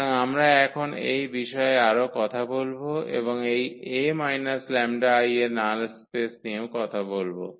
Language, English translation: Bengali, So, we will be talking more on this now and this null space of this A minus lambda I